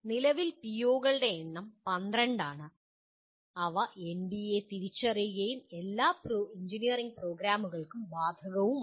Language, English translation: Malayalam, And at present POs are 12 in number and they are identified by NBA and are applicable to all engineering programs